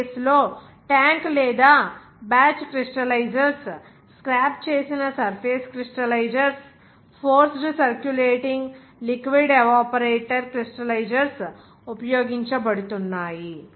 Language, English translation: Telugu, That case tank or batch crystallizers, scraped surface crystallizers, forced Circulating liquid evaporator – crystallizers are being used